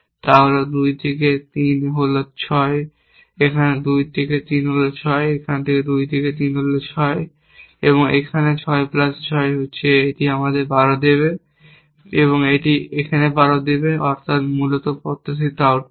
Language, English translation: Bengali, We can predict that what this device will produced is 2 into 3 is 6, here 2 into 3 is 6, here 2 into 3 is 6, here and then 6 plus 6, it should give us 12 and should give a 12, that is the expected output essentially